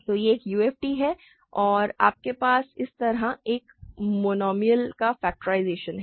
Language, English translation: Hindi, So, it is a UFD and you have a factorization of a monomial like this